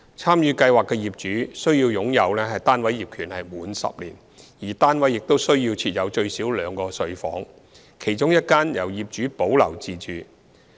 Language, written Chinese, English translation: Cantonese, 參與計劃的業主須擁有單位業權滿10年，而單位亦須設有最少兩個睡房，其中一間由業主保留自用。, Participating owners must have owned their flats for at least 10 years . Also each flat must have at least two bedrooms one of which the owner must keep for their own residence